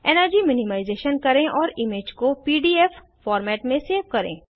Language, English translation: Hindi, # Do energy minimization and save the image in PDF format